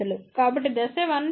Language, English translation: Telugu, So, step 1 path